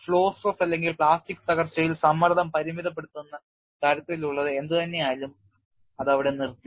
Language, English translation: Malayalam, Whatever is the flow stress or the kind of limiting stress in plastic collapse, it is stopped at that